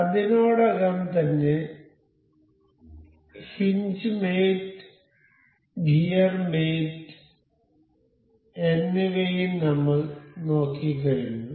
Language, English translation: Malayalam, Out of these we have already covered hinge mate and gear mate